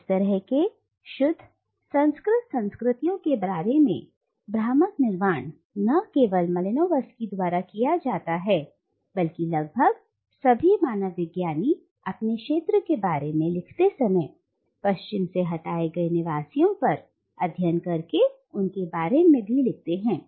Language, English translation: Hindi, And such illusions about pure uncontaminated cultures are carefully constructed not only by Malinowski but almost by all anthropologists writing about their field studies on dwellers of spaces far removed from the West